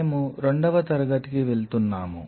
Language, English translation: Telugu, So, we are going to the second class